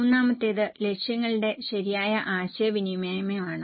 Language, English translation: Malayalam, The third one is proper communication of goals